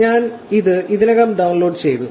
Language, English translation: Malayalam, Again, I have downloaded it already